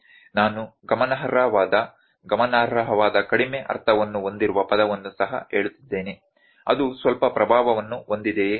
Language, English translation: Kannada, I am also saying the word what is significant, significant little meaning of significant is, is it having some influence